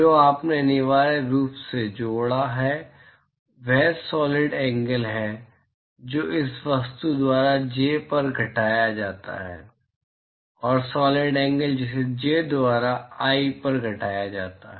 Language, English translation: Hindi, What you have essentially connected is the solid angle which is subtended by this object on j, and solid angle which is subtended by j on i